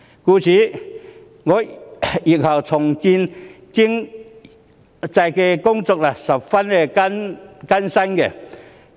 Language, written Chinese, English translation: Cantonese, 故此，日後重建經濟的工作將十分艱辛。, Therefore the task of economic reconstruction in future will be very tough